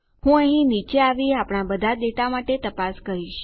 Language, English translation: Gujarati, I will come down here and check for all of our data